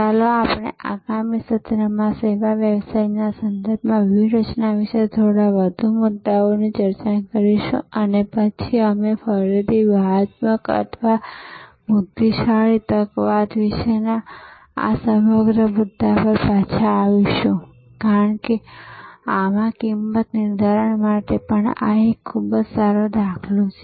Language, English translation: Gujarati, Let us discuss a few more issues about strategy in the context of the service business, in the next session and then we will again come back to this whole issue about strategic or intelligent opportunism, because this is also a very good paradigm for pricing in the service context which we will discuss this week